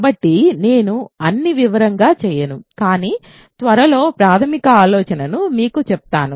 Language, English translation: Telugu, So, I won’t do all the details, but quickly tell you the basic idea